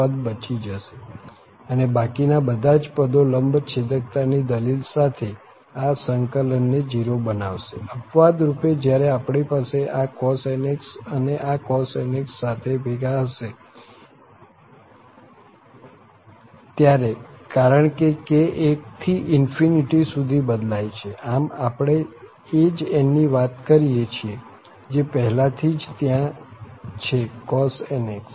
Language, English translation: Gujarati, This term will survive, all other terms with the argument of the orthogonality will again make this integral 0, except the case when we have this cos nx and together with this cos nx, because k varies from 1 to infinity, so we are talking about the same n, what is already there, cos nx